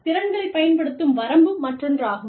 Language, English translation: Tamil, Range of skill application is another one